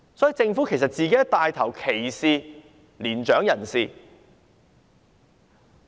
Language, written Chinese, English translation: Cantonese, 所以，政府自己也在牽頭歧視年長人士。, Therefore the Government itself is taking the lead to discriminate against senior citizens